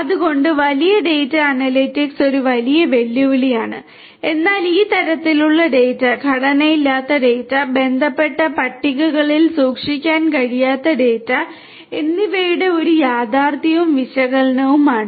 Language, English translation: Malayalam, So, big data analytics is a huge challenge, but is a reality and analytics of these types of data, data which are unstructured, not data which cannot be stored in relational tables